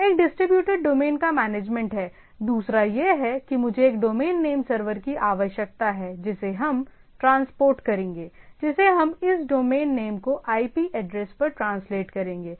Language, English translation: Hindi, So, one is that management of this distributed domain, another is that I require domain name server which we’ll transport which we will translate this domain name to IP addresses right